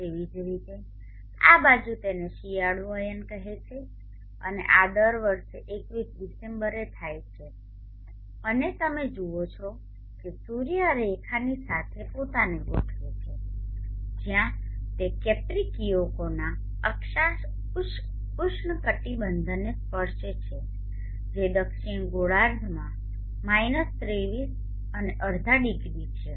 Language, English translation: Gujarati, And in the southern hemisphere it is doing that likewise on this side this is called the winter soled sties and this occurs on December 21st every year and you see that the sun allying itself along this line where it touches the latitude tropic of capriccio which is 23 and half degrees in the southern hemisphere